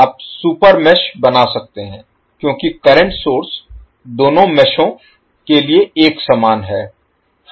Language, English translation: Hindi, You can create super mesh because the current source is common to both of the meshes